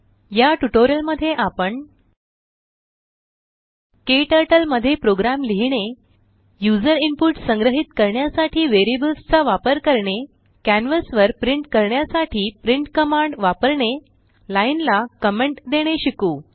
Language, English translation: Marathi, In this tutorial, we will learn how to Write a program in KTurtle Use variables to store user input Use print command to print on canvas Comment a line To record this tutorial, I am using,Ubuntu Linux OS Version 11.10